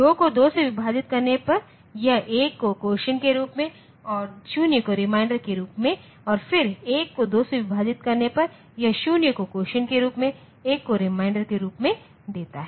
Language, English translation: Hindi, 2 divided by 2 it gives 1 as quotient and 0 as remainder and then 1 divided by 2, this gives 0 as quotient and 1 as remainder